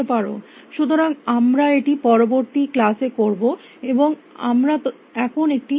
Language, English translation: Bengali, So, we will do that in the next class, and we will take a break now